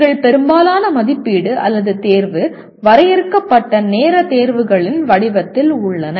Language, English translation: Tamil, Most of our evaluation or assessment is in the form of limited time examinations